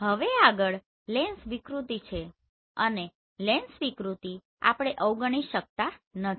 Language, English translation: Gujarati, Now the next is lens distortion so lens distortion we cannot ignore